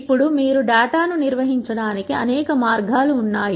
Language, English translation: Telugu, Now, there are many ways in which you can organize data